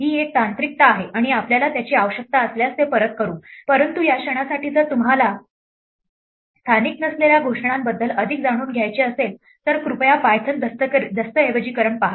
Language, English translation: Marathi, This is a technicality and it will not be very relevant if we need it we will come back it, but for the moment if you want to find out more about non local declarations please see the Python documentation